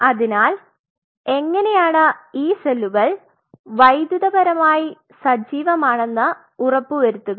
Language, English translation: Malayalam, So, how you ensured that these cells are electrically active in the culture